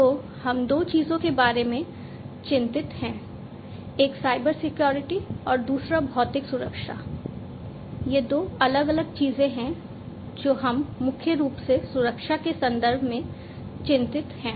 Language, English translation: Hindi, So, we were we are concerned about two particular, two, particularly two things, one is the Cybersecurity and the physical security these are the two different things that we are primarily concerned about in the context of security